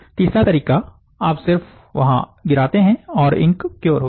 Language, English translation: Hindi, The third approach, you just drop ink there, and the ink is cured fine